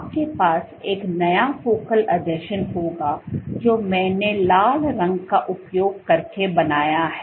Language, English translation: Hindi, You would have a new focal adhesion which I have drawn using red colour